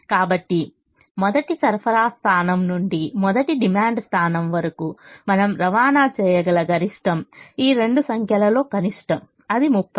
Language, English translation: Telugu, so the maximum we can transport from the first supply point to the first demand point is the minimum of these two numbers, which is thirty